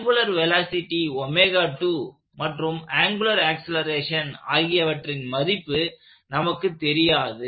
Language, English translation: Tamil, And we do not know the angular velocity omega2; neither do we know the angular acceleration